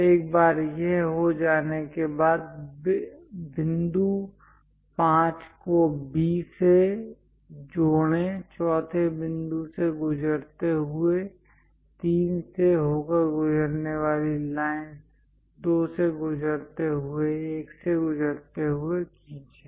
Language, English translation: Hindi, Once it is done, parallel to this line, parallel to point 5 and B, passing through 4th point, draw lines passing through 3, passing to 2, passing to 1